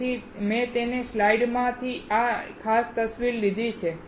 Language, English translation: Gujarati, So, I have taken this particular image from his slide